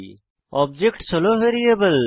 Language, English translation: Bengali, Objects are variables